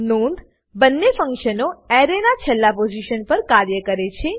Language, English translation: Gujarati, Note: Both these functions work at last position of an Array